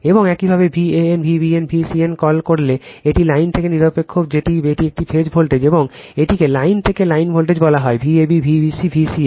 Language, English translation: Bengali, And when you call van V b n, V c n, it is line to neutral that is a phase voltage, and this called line to line voltage V a b, V b c, V c a